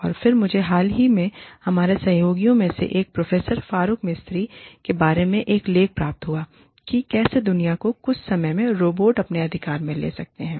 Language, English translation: Hindi, And again, i recently received an article from, one of our collaborators, Professor Farooq Mistry, about, how robots may be taking over the world, at some point in time